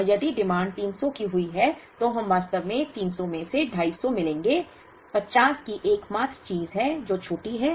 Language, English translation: Hindi, And if the demand happens to be 300, we will actually meet 250 out of the 300, 50 is the only thing that is short